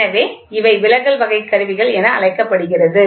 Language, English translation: Tamil, So, these are the deflection type instruments